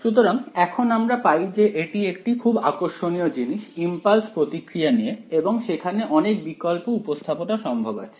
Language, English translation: Bengali, So, now turns out this is an interesting thing about impulse responses and there are Alternate Representations also possible ok